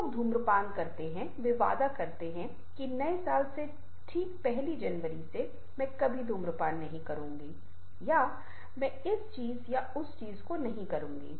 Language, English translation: Hindi, ah, those who are smokers, they take promise that, ok, from the new year, from the first of january, i will never smoke or i will not do this thing or that thing